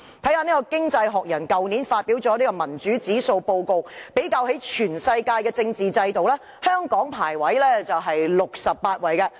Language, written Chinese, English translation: Cantonese, 翻看《經濟學人》去年發表的民主指數報告，比較全世界的政治制度，香港的排名為68位。, It is most ridiculous . With reference to last years annual Democracy Index published by the Economist which compares the state of democracy worldwide Hong Kong ranks 68 in the Index